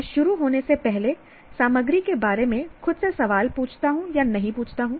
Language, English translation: Hindi, I ask, do not ask myself questions about the material before I begin